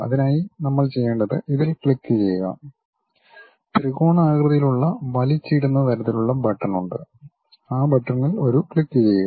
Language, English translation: Malayalam, For that what we have to do is click this one there is a drag down kind of button the triangular one click that, go there